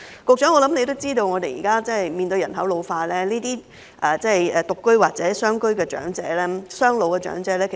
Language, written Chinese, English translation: Cantonese, 局長也知道，現時面對人口老化問題，獨居或雙老家庭的長者人數會越來越多。, As the Secretary is also aware with an ageing population there will be more and more elderly people living alone or families of elderly doubletons